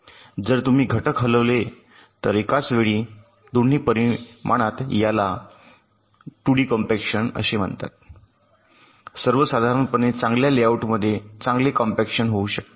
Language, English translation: Marathi, so if you move the elements simultaneously in some way in both the dimensions, this is called two d compaction, which in general can result in better layouts, better compaction